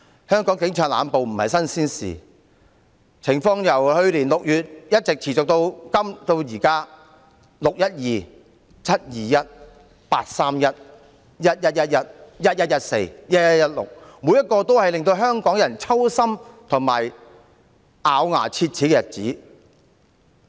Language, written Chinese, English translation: Cantonese, 香港警察濫捕不是新鮮事，情況由去年6月一直持續至今，"六一二"、"七二一"、"八三一"、"一一一一"、"一一一四"、"一一一六"，這些日子都令香港人揪心及咬牙切齒。, Arbitrary arrest by the Police is not something new in Hong Kong and the situation has persisted since June last year . The dates of 12 June 21 July 31 August 11 November 14 November and 16 November make Hong Kong people worried and extremely angry